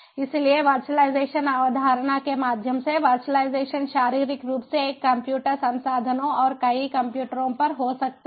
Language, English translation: Hindi, so virtualization, through the virtualization concept, physically one computer might be holding on to the resources and to many computers